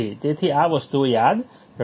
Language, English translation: Gujarati, So, remember these things remember these things